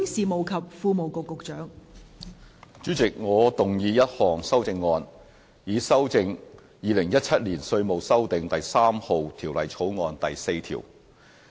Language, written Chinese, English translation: Cantonese, 代理主席，我動議一項修正案，以修正《2017年稅務條例草案》第4條。, Deputy Chairman I move an amendment to amend clause 4 of the Inland Revenue Amendment No . 3 Bill 2017 the Bill